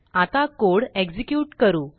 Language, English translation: Marathi, Lets now execute the code